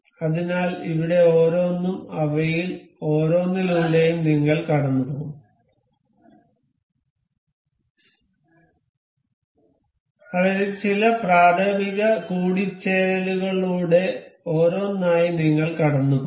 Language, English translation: Malayalam, So, there one, we will go through each of them some, we will go through some elementary mates of them out of these one by one